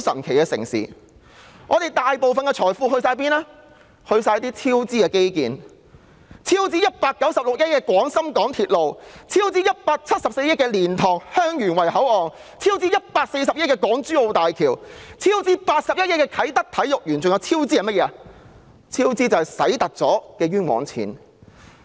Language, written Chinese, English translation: Cantonese, 全部花了在種種超支的基建項目之上，例如超支196億元的廣深港高速鐵路香港段；超支174億元的蓮塘/香園圍口岸；超支140億元的港珠澳大橋；超支81億元的啟德體育園；還有那些多花了的冤枉錢。, We have spent our financial resources on many infrastructure projects which have incurred cost overruns such as the Hong Kong Section of the Guangzhou - Shenzhen - Hong Kong Express Rail Link which has incurred a cost overrun of 19.6 billion; the LiantangHeung Yuen Wai Boundary Control Point with a cost overrun of 17.4 billion; the Hong Kong - Zhuhai - Macao Bridge with a cost overrun of 14 billion; the Kai Tak Sports Park with a cost overrun of 8.1 billion; as well as many other wasteful expenditures